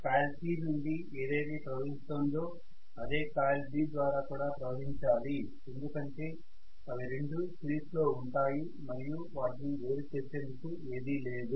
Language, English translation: Telugu, Whatever is flowing in coil C should also flow through coil B, right because they are essentially in series there is nothing that is dividing the current